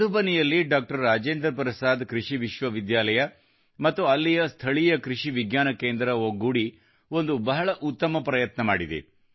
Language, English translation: Kannada, Rajendra Prasad Agricultural University in Madhubani and the local Krishi Vigyan Kendra have jointly made a worthy effort